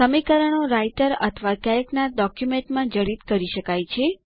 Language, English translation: Gujarati, The formulae can be embedded into documents in Writer or Calc